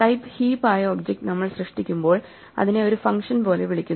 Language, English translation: Malayalam, When we create on object of type heap we call it like a function